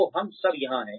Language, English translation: Hindi, So, we are all here